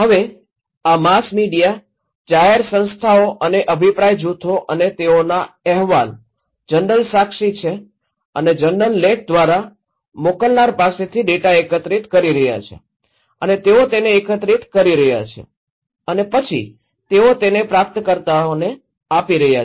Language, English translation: Gujarati, Now, this mass media public institutions and opinion groups and they are collecting data from the senders through journal articles from report, eyewitness okay and they are collecting and then they are passing it to the receivers